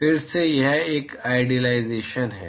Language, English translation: Hindi, Again this is an idealization